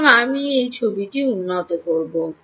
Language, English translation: Bengali, so i will improve this picture